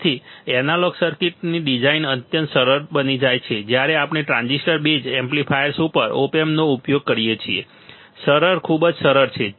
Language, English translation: Gujarati, So, designing of analog circuit becomes extremely easy when we use op amp over transistor based amplifiers all right, easy, very easy right